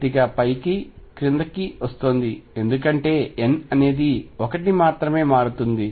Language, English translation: Telugu, Little up and down is coming because n changes by 1